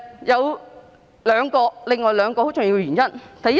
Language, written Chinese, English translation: Cantonese, 有另外兩個很重要的原因。, There are two other important reasons